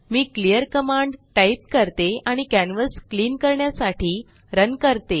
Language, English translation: Marathi, Let me typeclearcommand and run to clean the canvas